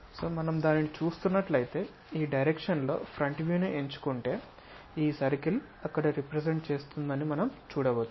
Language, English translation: Telugu, So, if we are looking at that if we pick front view in this direction; what we see is, this circle will be represented there